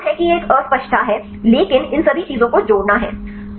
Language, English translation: Hindi, So, that is a confusion this an ambiguity so adding all these things